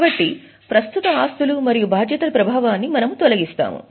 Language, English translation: Telugu, So, we will remove the effect of current assets and liabilities